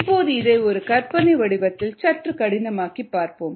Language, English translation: Tamil, now let us complicate this process a little bit